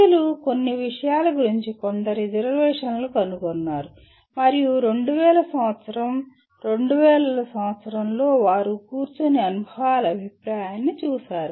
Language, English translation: Telugu, And people did find some reservations about some of the things and there was a committee that in around 2000 year 2000 they sat down and looked at the experiences feedback that was given